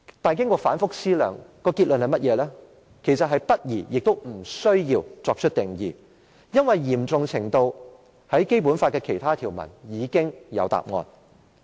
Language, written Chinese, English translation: Cantonese, 可是，經過反覆思量，所得結論是不宜也不需要作出定義，因為有關行為的嚴重程度，在《基本法》的其他條文已經有答案。, However after thorough deliberations it was concluded that it was inappropriate and unnecessary to make such a definition for other provisions in the Basic Law have provided the answers on the severity of such misbehaviour